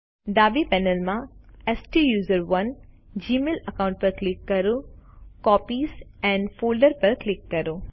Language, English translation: Gujarati, From the left panel, click on the STUSERONE gmail account and click Copies and Folders